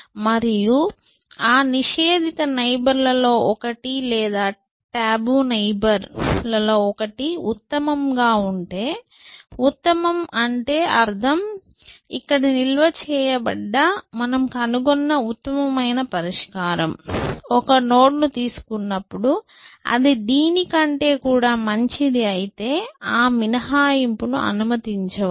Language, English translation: Telugu, And if one of those barred neighbors, a one of the tabu neighbors is better than the best, by best I mean this thing that you store the best solution that you have found, if I can find the node, which is better than this also, than you allow that exception